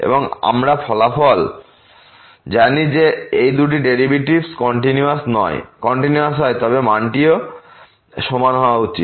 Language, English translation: Bengali, And we know the result that if these 2 derivatives are continuous then the value should be also equal